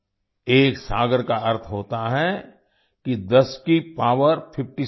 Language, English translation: Hindi, One saagar means 10 to the power of 57